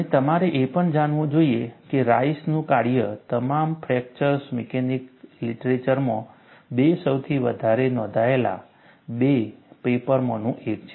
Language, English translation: Gujarati, And, you should also know, Rice's work is one of the two most quoted papers, in all of the fracture mechanics literature